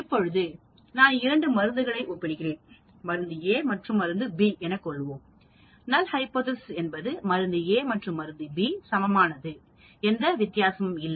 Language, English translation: Tamil, Now if I am comparing two drugs, say drug A and B, the null hypothesis could be drug A is as good as B, there is no difference